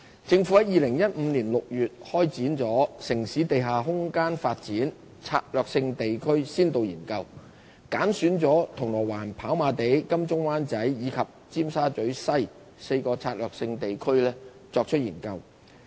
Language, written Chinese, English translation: Cantonese, 政府於2015年6月開展"城市地下空間發展：策略性地區先導研究"，揀選了銅鑼灣、跑馬地、金鐘/灣仔及尖沙咀西4個策略性地區作研究。, The Government commenced in June 2015 a Pilot Study on Underground Space Development in Selected Strategic Urban Areas the Study which has selected Causeway Bay Happy Valley AdmiraltyWan Chai and Tsim Sha Tsui West as four strategic urban areas SUAs for study